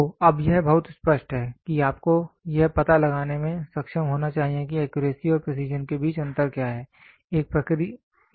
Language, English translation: Hindi, So, now, it is very clear you should be now able to distinguish what are the difference between accuracy and precision